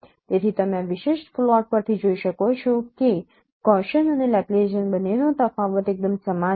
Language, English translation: Gujarati, So, you can see from this particular plot that both difference of Gaussian and Laplacian they are quite similar